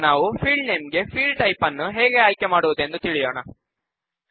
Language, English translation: Kannada, Let us see how we can choose Field Types for field names